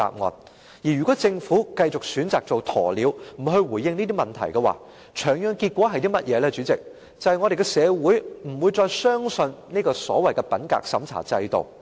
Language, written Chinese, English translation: Cantonese, 主席，如果政府繼續選擇做鴕鳥，不回應這些問題，長遠的結果是香港社會不會再相信所謂的品格審查制度。, President if the Government continues to act like ostrich and refuses to reply to these questions in the long run the Hong Kong society will no longer believe in the so - called integrity checking system